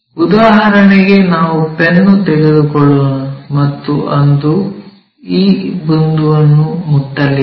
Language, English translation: Kannada, For example, let us take a pen and that is going to touch this point